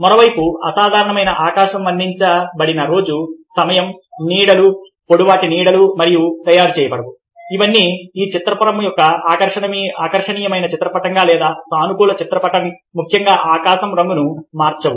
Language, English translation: Telugu, on the other hand, the abnormal sky, the, the time of the day depicted, the, the shadows, long shadows, don't make this ah, ah, all these things don't make this painting a very attractive painting or a positive painting, especially the colour of the sky